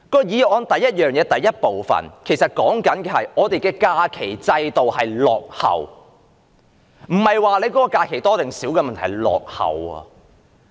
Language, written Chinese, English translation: Cantonese, 議案的第一部分是說我們的假期制度落後，不是假期的日數，而是制度落後。, The first part of the motion is telling us that our holiday system is backward not in terms of the number of holidays but the system itself